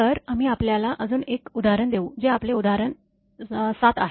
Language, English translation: Marathi, So, we will come to you know another example that is your example 7